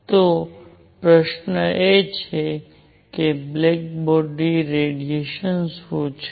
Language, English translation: Gujarati, So, question is; what is a black body